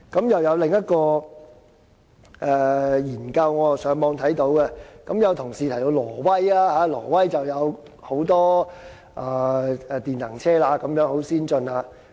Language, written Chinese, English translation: Cantonese, 我在網上看到另一項研究，有同事提到挪威，當地有很多電能車，十分先進。, Some colleagues have talked about Norway saying that the country is very advanced and EVs are popular there